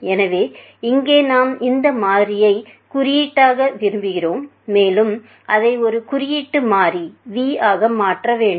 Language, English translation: Tamil, So, here we want to code this variable, and make it into a coded variable v in a manner